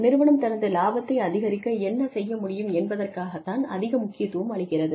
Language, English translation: Tamil, There is more emphasis on, what the company can afford, to maximize its profits